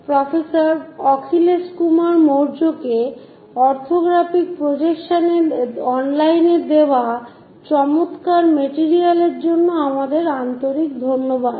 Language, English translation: Bengali, Our sincere thanks to professor Akhilesh Kumar Maurya for his excellent materials provided on online on Orthographic Projections